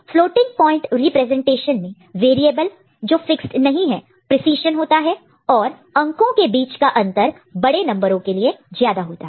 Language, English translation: Hindi, And floating point representation has variable precision and gap between number is higher for larger numbers